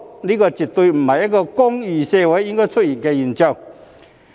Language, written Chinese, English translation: Cantonese, 這絕不是一個公義社會應該出現的現象。, This is by no means a phenomenon that should appear in a society of justice